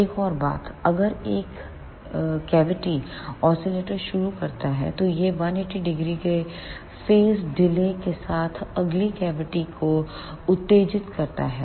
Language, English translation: Hindi, One more thing if one cavity starts oscillating, then it excites the next cavity with the phase delay of 180 degree